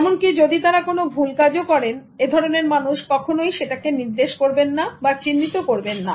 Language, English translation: Bengali, And even if they do a wrong thing, the people around never point it out